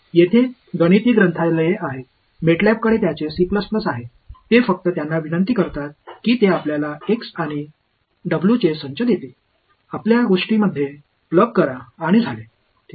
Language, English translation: Marathi, There are there are mathematical libraries, MATLAB has its C++ has it just invoke them they will give you the set of x’s and w’s; plug it into your thing and you have done ok